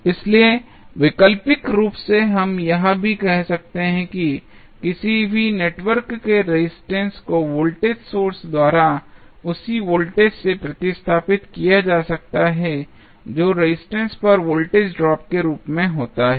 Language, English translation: Hindi, So, alternatively we can also say that the resistance of any network can be replaced by a voltage source having the same voltage as the voltage drop across the resistance which is replaced